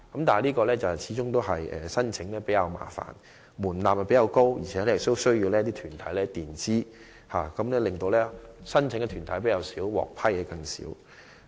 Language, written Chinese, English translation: Cantonese, 但是，申請程序始終較為麻煩，門檻較高，又要申請團體先行墊支款項，以致申請團體較少，獲批項目則更少。, However due to rather complicated application procedures and higher threshold and applicant organizations are required to make payment in advance there is a small number of organizations applying for the Scheme and the number of projects approved is even smaller